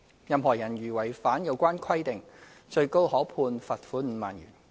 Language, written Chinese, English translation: Cantonese, 任何人如違反有關規定，最高可被判罰款5萬元。, A person contravening the relevant provision is liable to a maximum penalty of a fine of 50,000